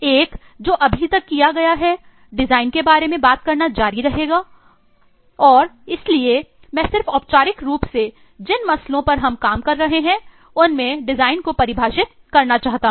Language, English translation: Hindi, One is I have been and will continue to talk about design and so I just wanted to formally define what eh design will mean in the in the cases that we are dealing with